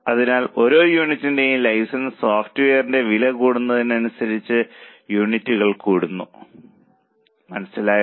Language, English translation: Malayalam, So, per unit as the units increase, your cost of license software increase